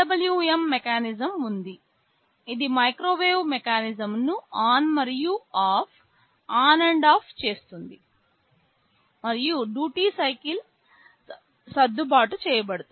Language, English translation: Telugu, There is a PWM mechanism which will be switching the microwave mechanism ON and OFF, and the duty cycle is adjusted